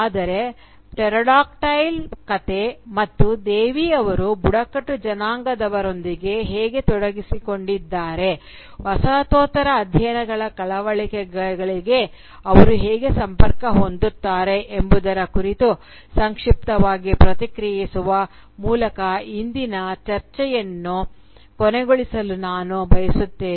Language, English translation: Kannada, But I would like to end today’s discussion by briefly commenting on how "Pterodactyl," the story, and Devi’s engagement with the tribals that it narrates, how do they connect to the concerns of postcolonial studies